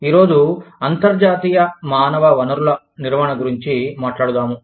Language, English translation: Telugu, Today, we will talk about, International Human Resource Management